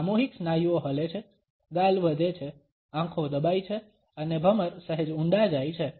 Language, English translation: Gujarati, Mass muscles move, cheeks rise, eyes squeeze up and eyebrows deep slight